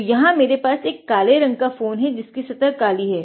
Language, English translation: Hindi, So, I have a black phone over here the surface is black now